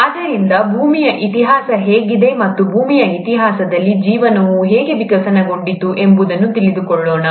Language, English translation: Kannada, So, let’s get to how the history of earth is, and how life really evolved during this history of earth